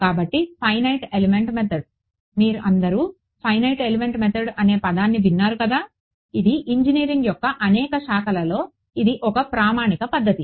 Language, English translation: Telugu, So, finite element method is; you’ve all heard the word right finite element method it is a standard method in many branches of engineering ok